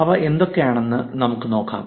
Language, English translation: Malayalam, Let us look at what they are